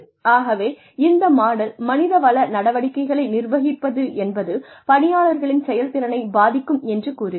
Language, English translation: Tamil, So, this model assumed that, managing these HR activities could influence, employee performance